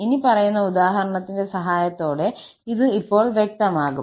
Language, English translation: Malayalam, This will be clear now with the help of the following example